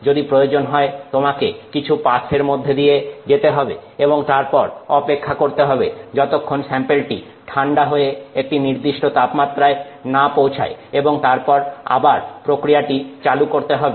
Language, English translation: Bengali, If necessary you may have to do some passes, then wait till the temperature of the sample cools down and then continue this process